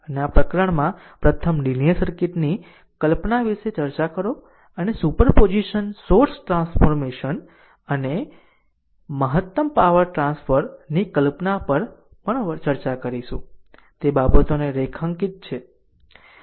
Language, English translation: Gujarati, And in this chapter right, we first discuss the concept of circuit linearity and in also will discuss the concept of super position source transformation and maximum power transfer, I have underlined those things